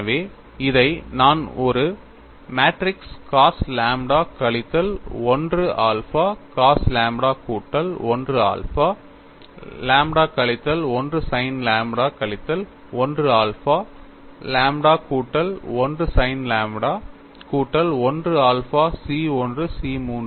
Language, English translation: Tamil, So, I have this as matrix cos lambda minus 1 alpha cos lambda plus 1 alpha lambda minus 1 multiplied by sin lambda minus 1 alpha lambda plus 1 sin lambda plus 1 alpha C 1 C 3, and the right hand side is 0